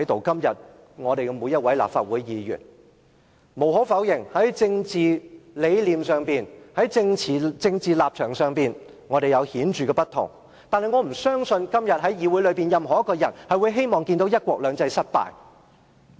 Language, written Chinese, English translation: Cantonese, 今天我們每一位立法會議員，無可否認，在政治理念及立場上有顯著的不同；但我不相信今天任何一個在議會內的人會希望看到"一國兩制"失敗。, True each Member of the Legislative Council differs markedly in political beliefs and positions . But I cannot envisage anyone sitting in this Council today would like to see the failure of one country two systems